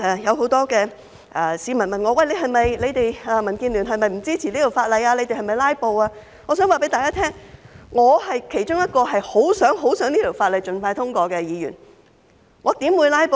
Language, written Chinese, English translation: Cantonese, 有很多市民問我，民建聯是否不支持這項法例，我們是否"拉布"，我想告訴大家，我是其中一位十分、十分希望這項法例盡快通過的議員，我怎會"拉布"呢？, Many members of the public have asked me if DAB does not support this legislation and whether we are filibustering . I have to tell them I am one of those who are keen to have the legislation passed expeditiously . How will I filibuster then?